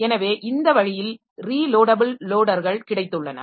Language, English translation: Tamil, So, this way we have got this relocatable loaders